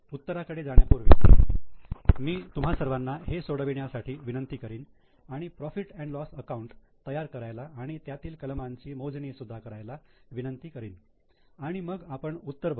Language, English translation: Marathi, Before I go to the the solution I will request all of you to solve it, prepare P&L account, also calculate these items and then we will see the solution